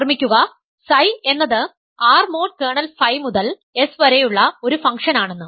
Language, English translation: Malayalam, So, remember psi is a function from R mod kernel phi to S